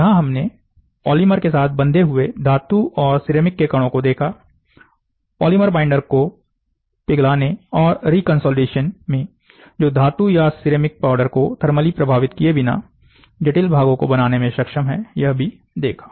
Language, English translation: Hindi, Metals and ceramic particles binded with the polymer are seen here, next melting and resolidification of polymer binder, enabling the complex part to be formed without thermally affecting the metal, or the ceramic powder, so, the particle is